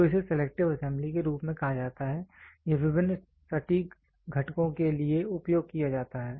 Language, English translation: Hindi, So, this is called as selective assembly, this is exhaustively used for various precision components